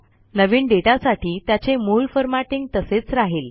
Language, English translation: Marathi, The new data will retain the original formatting